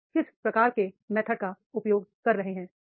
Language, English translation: Hindi, What type of method you are using